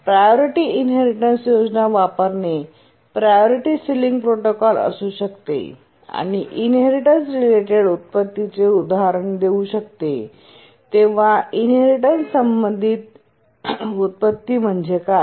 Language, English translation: Marathi, When using a priority inheritance scheme, maybe a priority sealing protocol, what do you understand by inheritance related inversion